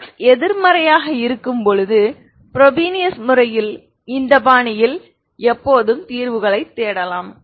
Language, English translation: Tamil, Always look for solutions in this fashion in the frobenius method when the x is negative, ok